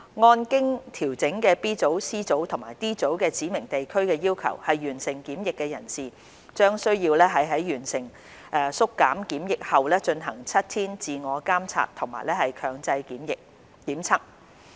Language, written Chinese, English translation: Cantonese, 按經調整的 B 組、C 組及 D 組指明地區的要求完成檢疫的人士，將需要在完成經縮減的檢疫後進行7天自我監察及強制檢測。, Persons who have completed quarantine under the adjusted Group B Group C and Group D requirements will be required to self - monitor for seven days and undergo compulsory testing after their shortened quarantine